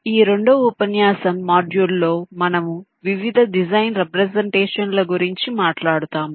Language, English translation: Telugu, so in this second lecture, the module, we shall be talking about various design representations